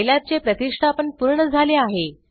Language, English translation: Marathi, Installation of scilab has completed